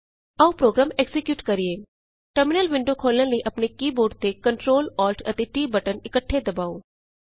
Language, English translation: Punjabi, Let us execute the program Please open the terminal window by pressing Ctrl, Alt and T keys simultaneously on your keyboard